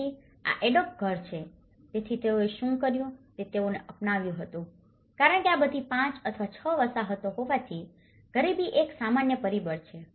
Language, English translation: Gujarati, So, this is an adobe house, so what they did was they have adopted because being in all these 5 or 6 settlements, the poverty is one of the common factor